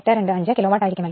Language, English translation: Malayalam, 825 kilo watt right